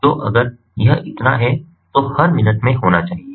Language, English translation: Hindi, so this has to be in every minute